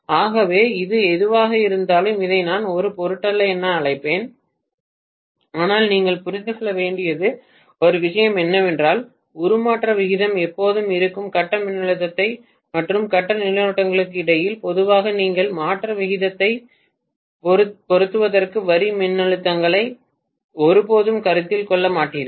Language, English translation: Tamil, So whatever is this one let me probably call this this doesn’t matter, but one thing you guys have to understand is that the transformation ratio is always between phase voltages and phase currents, generally you never take the line voltages into consideration for getting the transformation ratio